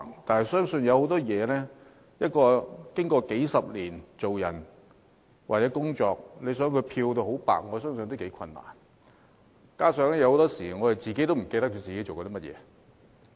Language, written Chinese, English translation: Cantonese, 但是，一個人生活工作數十年，要漂到很白是頗為困難，而且很多時候，我們也忘記自己曾做過甚麼。, However it is extremely difficult for one who has lived and worked for decades to be whiter than white . In many cases we forget what we did in the past